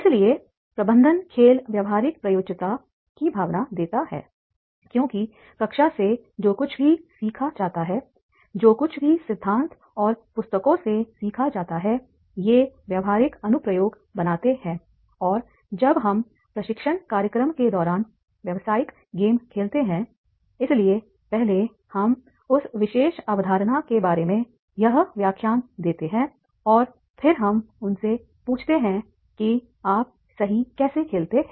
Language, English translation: Hindi, So these are making the practical applications because whatever is learned from the classroom, whatever is learned from the theory and books and when we play the business game during the training program, so first we give this lecture about that particular concept and then we ask them that is the now you play, right